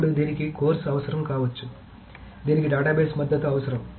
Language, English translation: Telugu, Then it may require of course it will require database support